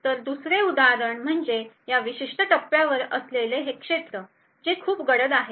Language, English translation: Marathi, So another example is these regions at this particular point, which are considerably darker